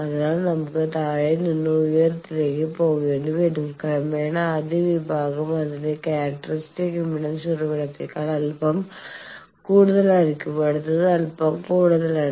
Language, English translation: Malayalam, So, will have to go form lower to higher, gradually the first section will be its characteristic impedance is a bit higher than the source the next one slightly higher, the next one slightly higher